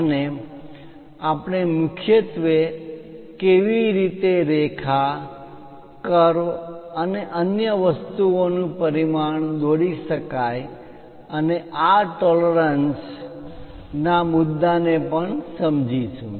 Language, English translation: Gujarati, And we will mainly understand how to dimension a line, curve and other things and how to address these tolerances issue